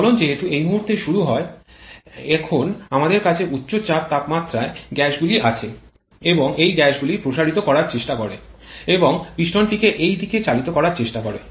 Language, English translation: Bengali, As the combustion starts at this point we now have high pressure temperature gases available but the; and these gases tries to expand and tries to move the piston in this direction